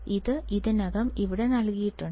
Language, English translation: Malayalam, This is already given here